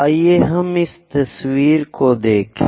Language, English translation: Hindi, Let us look at this picture